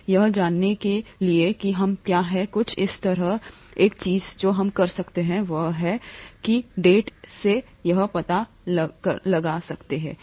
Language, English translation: Hindi, To find that out, what we do is something like this, one of the things that we can do is something like this because we’ll have to find that out from data